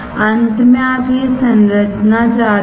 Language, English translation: Hindi, Finally, what you want is this structure